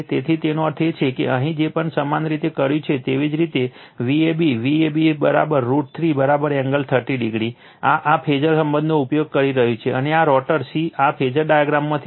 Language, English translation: Gujarati, So, that means, whatever you did here that your V a b, V a b is equal to root 3 V p angle 30 degree, this is using this phasor relationship and this is from the phasor diagram is rotor c right